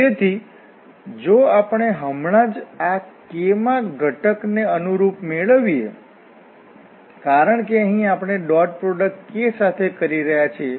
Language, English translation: Gujarati, So, if we just get this corresponding to this Kth component, because here we are doing this dot product with the k